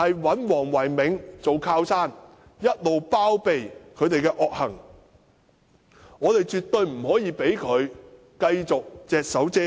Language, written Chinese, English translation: Cantonese, 黃唯銘是禮頓的靠山，一直包庇禮頓的惡行，我們絕對不可以讓他繼續隻手遮天。, Dr Philco WONG is the supporter of Leighton and he has always been sheltering the evil deeds of Leighton so we must not allow him to continue to be unfettered